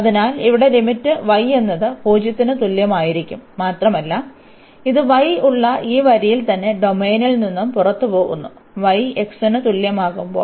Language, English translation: Malayalam, So, the limit here will be like y is equal to 0 and it is leaving the domain exactly at this line where y is equal to x